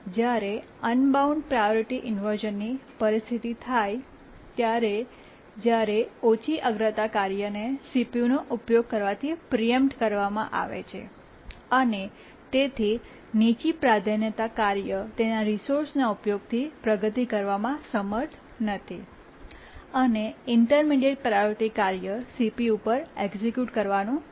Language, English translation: Gujarati, That's a simple priority inversion, but an unbounded priority inversion situation occurs where the low priority task has been preempted from using the CPU and therefore the low priority task is not able to make progress with its resource uses and the intermediate priority task keep on executing on the CPU